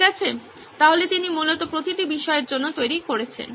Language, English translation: Bengali, Okay so he is basically creating for each subject